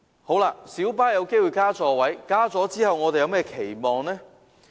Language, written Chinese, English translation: Cantonese, 在小巴增加座位後，我們有何期望呢？, What other expectations do we have following the increase of the seating capacity of light buses?